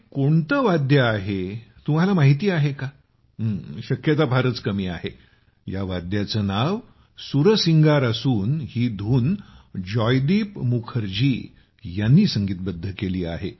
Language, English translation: Marathi, The name of this musical instrumental mantra is 'Sursingar' and this tune has been composed by Joydeep Mukherjee